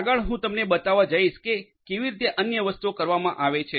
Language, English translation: Gujarati, Next I am going to show you how different other things are done